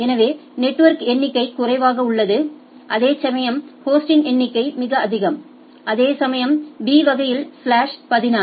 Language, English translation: Tamil, The network number of network is less whereas, the number of host are much larger whereas, in class B it is slash 16